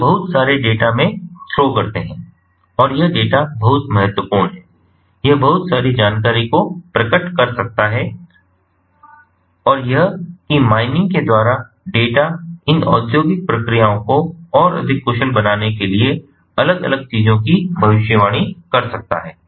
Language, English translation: Hindi, they throw in lot of data and that data is very important, is very crucial, it can reveal a lot of information and that, by by mining that data, one can predict different things, ah in a, ah to to, to make these industrial ah ah processes, ah ah much more efficient